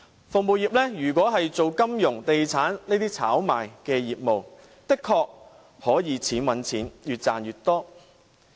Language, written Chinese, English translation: Cantonese, 服務業如果是從事金融或地產這些炒賣的業務，的確可以"錢搵錢"，越賺越多。, If one engages in speculative business in the service industry one can honestly ride on the multiplier effect to make more and more money